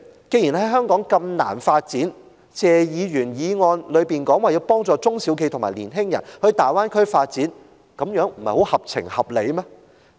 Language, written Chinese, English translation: Cantonese, 既然在香港如此難以發展，謝議員的議案提到要幫助中小企和年青人到大灣區發展，這樣不是很合情合理嗎？, Given the difficulty to pursue development in Hong Kong is it not reasonable for Mr TSE to propose in his motion to help SMEs and young people to go to the Greater Bay Area for development?